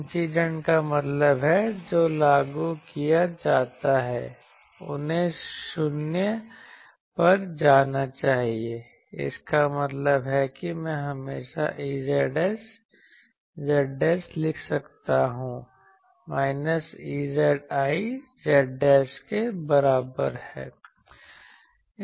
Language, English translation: Hindi, Incident means what is applied they should go to 0; that means I can always write E z s Z dashed is equal to minus E z i Z dashed